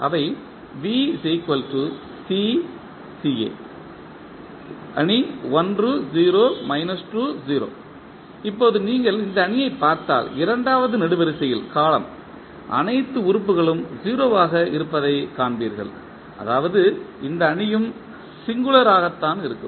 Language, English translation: Tamil, Now, if you look this matrix, you will see that the second column has all elements as 0 means this matrix is also singular